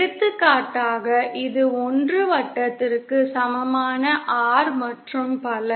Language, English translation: Tamil, For example, this is the R equal to 1 circle and so on